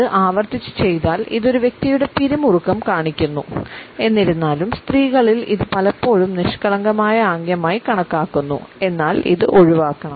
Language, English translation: Malayalam, If it is repeatedly done; it showcases the tension of a person; however, in women it is often associated with a flirtatious gesture and it should be avoided